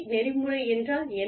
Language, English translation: Tamil, What is ethical